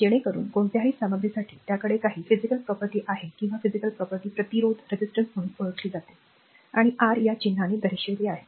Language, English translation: Marathi, So, that for any material, right it has some physical property or ability to resist current is known as resistance and is represented by the symbol R, capital R these the symbol R